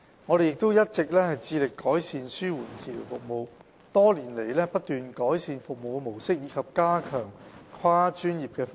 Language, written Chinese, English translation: Cantonese, 醫管局一直致力改善紓緩治療服務，多年來不斷改善服務模式及加強跨專業的服務。, We have all along been committed to enhancing palliative care services and has continued to improve its service delivery model and strengthen the provision of multi - disciplinary services over the years